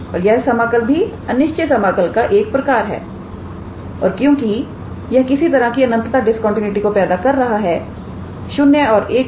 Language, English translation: Hindi, And this integral is also a type of improper integral and because it creates some kind of infinite discontinuity at the, for this integral at the point 0 and 1